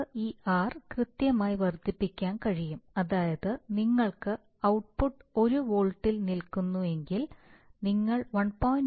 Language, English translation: Malayalam, Either you could artificially increase this r, that is, if you want let us say an r of really one that the that the output stays at 1 volt you give an r of maybe 1